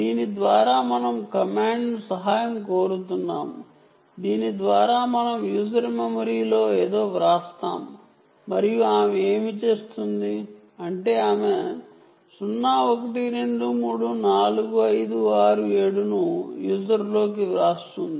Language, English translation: Telugu, for this we will invoke command by which we write something into the user memory and what she does is she writes zero, one, two, three, four, five, six, seven into the user memory